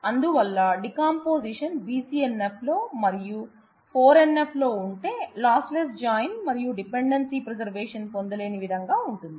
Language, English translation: Telugu, So, the idea would be I have a decomposition in BCNF and 4 NF lossless join and dependency preservation which may not be achievable